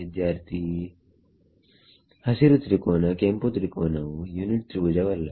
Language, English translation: Kannada, The green tri the red triangle is not a unit triangle